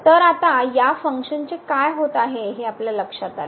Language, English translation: Marathi, So now, if you realize what is happening to this function now here